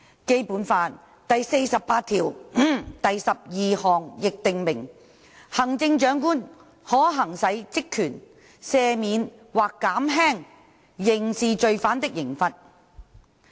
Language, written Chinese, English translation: Cantonese, 《基本法》第四十八條第項亦訂明，行政長官可行使職權"赦免或減輕刑事罪犯的刑罰"。, Article 4812 of the Basic Law also provides that the Chief Executive CE may exercise his powers and functions to pardon persons convicted of criminal offences or commute their penalties